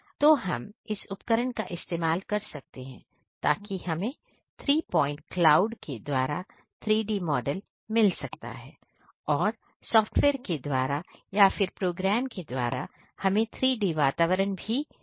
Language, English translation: Hindi, So, we can just use this equipment in order to get the 3D model get the three point clouds and then through the software or through program get the 3D environment and straight way using the that VR system